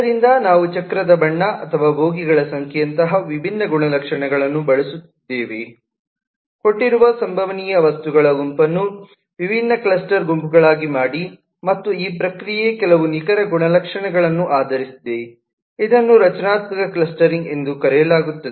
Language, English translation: Kannada, so we are using different properties like colour of the wheel or the number of bogies, and to cluster the given set of possible objects into different cluster groups, and this process, since it is based on certain concrete properties, is known as structural clustering